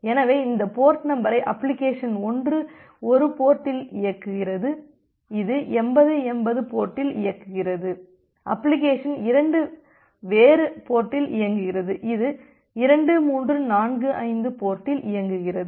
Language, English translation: Tamil, So, this port number application 1 runs in one port say it is running in 8080 port, application 2 runs in a different port say it is running in 2345 port